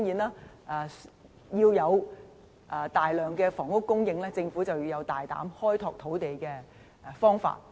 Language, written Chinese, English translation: Cantonese, 當然，要有大量房屋供應，政府便要有大膽的開拓土地方法。, Of course to ensure an abundant supply of housing the Government must open up land sites in a bold manner